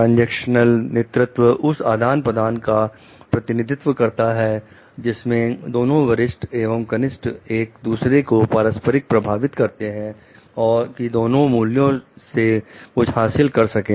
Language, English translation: Hindi, Transactional leadership represents those exchanges in which both the superior and the subordinate will influence one another reciprocally so that each derives something of value